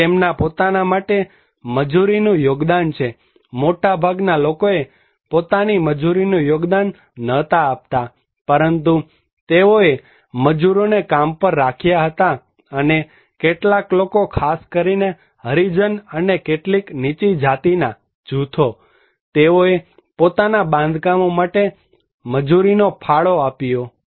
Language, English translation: Gujarati, Here is the contribution of the labour for their own, most of the people they did not provide their own labour but they hired labour, you can see these all are hired labour and some few people especially the Harijans and some low caste groups, they contributed labour for their own constructions